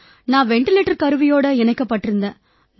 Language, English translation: Tamil, I was on the ventilator